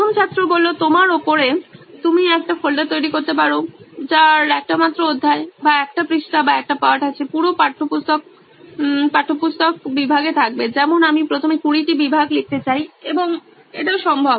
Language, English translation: Bengali, Up to you, you can create a folder which has only one chapter or one page or one lesson, entire textbook would be into the textbook section, like I want to write 20 cases first and that is also possible